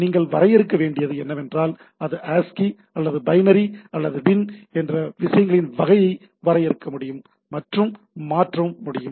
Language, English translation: Tamil, So, you need to define I can define that the type of things whether it is ASCII or binary or bin can be defined and can be transferred